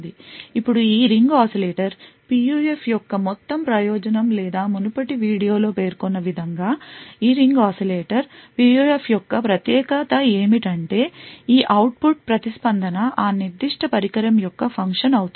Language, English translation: Telugu, Now the entire purpose of this Ring Oscillator PUF or the entire uniqueness of this Ring Oscillator PUF as mentioned in the previous video is that this output response is going to be a function of that particular device